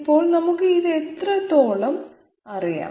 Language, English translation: Malayalam, So how much do we know this